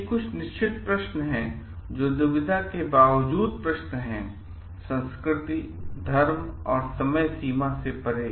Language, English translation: Hindi, These are certain questions which are like questions of dilemma irrespective of the may be culture religion and time frame